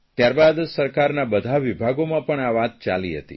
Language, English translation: Gujarati, After that all government departments started discussing it